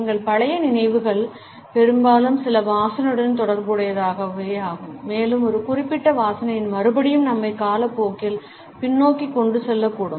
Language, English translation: Tamil, Our old memories often are associated with certain smells and the repetition of a particular smell may carry us backward in time